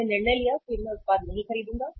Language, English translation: Hindi, He has taken a decision I will not purchase the product